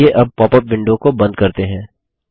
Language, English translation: Hindi, Let us now Close the popup window